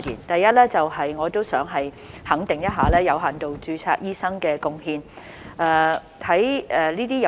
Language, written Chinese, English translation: Cantonese, 第一，我想肯定有限度註冊醫生的貢獻。, First I would like to acknowledge the contributions made by doctors under limited registration